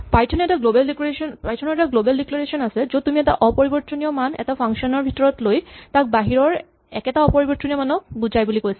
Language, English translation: Assamese, If you remember Python has this global declaration which allows you to take an immutable value inside a function and say it refers to the same immutable value outside